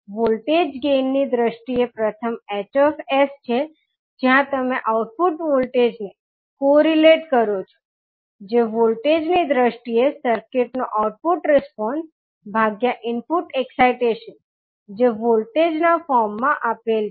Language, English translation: Gujarati, First is H s in terms of voltage gain where you correlate the output voltage that is output response of the circuit in terms of voltage divided by input excitation given in the form of voltage